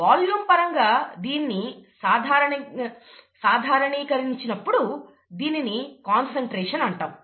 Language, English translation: Telugu, When you normalize it with respect to volume, we call it concentration usually